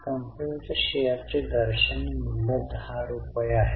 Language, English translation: Marathi, Face value of the company is rupees 10